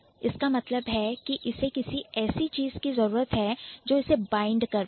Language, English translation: Hindi, That means it would need somebody which will bind it or something which is bound, which will bind it